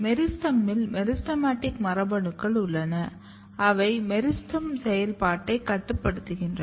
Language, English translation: Tamil, So, in the meristem you know the meristematic genes are there which regulate the meristem function